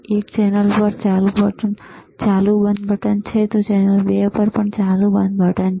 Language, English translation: Gujarati, One is on off on off button at the channel one, on off button at channel 2